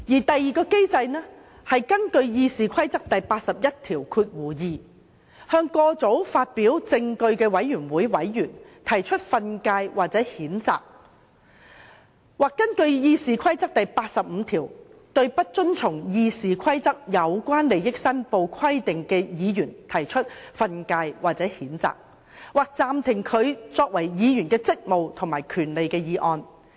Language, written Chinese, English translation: Cantonese, 第二個機制是根據《議事規則》第812條，向過早發表證據的委員會委員提出訓誡或譴責；或根據《議事規則》第85條，對不遵從《議事規則》有關利益申報規定的議員，可藉訓誡或譴責，或暫停其議員職務或權利的議案加以處分。, The second mechanism is that any member of the committee who publishes the evidence taken before a committee prematurely may be admonished or reprimanded under RoP 812; or that any Member who fails to comply with the requirements in RoP in respect of declaration of interest may be admonished reprimanded or suspended by the Council on a motion to that effect under Rule 85 of RoP